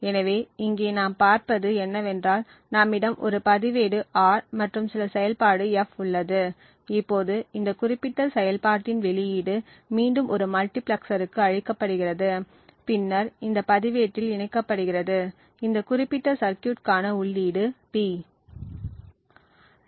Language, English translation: Tamil, So what we see over here is that we have a register R and some function F, now the output of this particular function is fed back to a multiplexer and then gets latched into this register, the input to this particular circuit is P